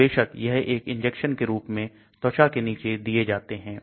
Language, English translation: Hindi, So obviously, it is given as an injection under the skin